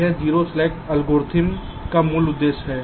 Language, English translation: Hindi, this is the basic objective of the zero slack algorithm